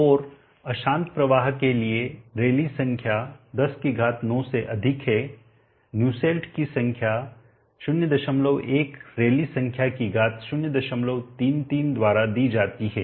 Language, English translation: Hindi, And for turbulent flow were the rally number is greater than 109 Nusselt number is given by 0